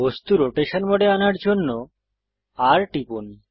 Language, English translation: Bengali, Press R to enter the object rotation mode